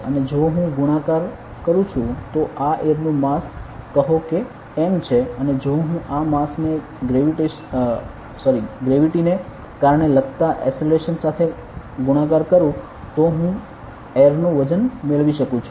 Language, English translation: Gujarati, And if I am multiplied with; so this is the mass of air say m and if I multiply this mass with the acceleration due to gravity then I get the weight of air ok